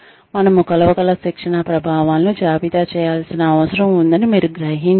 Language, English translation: Telugu, You must realize, we need to list the training effects, that we can measure